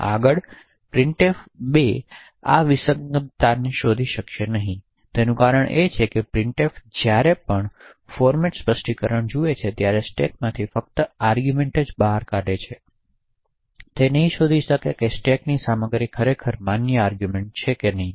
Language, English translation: Gujarati, The reason being is that printf in its current implementation just picks out arguments from the stack depending on what it sees in the format specifiers it cannot detect whether the arguments passed on the stack is indeed a valid argument or an invalid argument